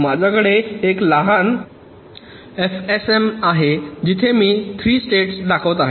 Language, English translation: Marathi, i have a small f s m where i am showing three states